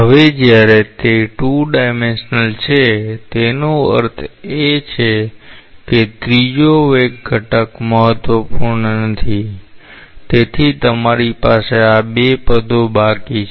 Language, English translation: Gujarati, Now when it is 2 dimensional; that means, the third velocity component is not important; so you are left with these 2 terms